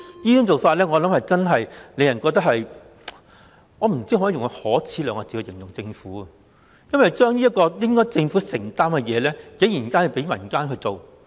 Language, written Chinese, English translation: Cantonese, 政府這種做法，我不知能否用可耻來形容，竟然把這個本來屬於政府的責任，交由民間負責。, I am not sure what sort of attitude I should apply to describe the Government and would it be shameful of the Government to pass the buck to the community